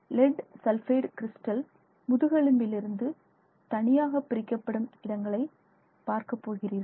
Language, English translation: Tamil, So, you are going to have individual locations of lead sulfide crystals separated by the backbone